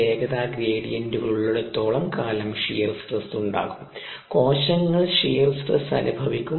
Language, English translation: Malayalam, as long as there are velocity gradients there is going to be shear stress and the cells are going to experience shear stress